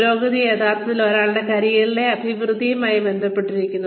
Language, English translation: Malayalam, Advancement actually relates to, progression in one's career